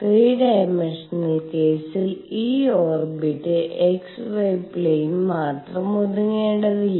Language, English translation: Malayalam, And in the 3 dimensional case what happens this orbit need not be confined to only x y plane